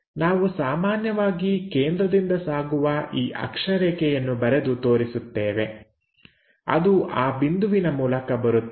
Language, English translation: Kannada, We usually show this center of axis that is passing from that point comes from that point